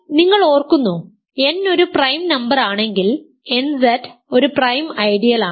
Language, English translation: Malayalam, So, if n is a prime number we have shown that nZ is a prime ideal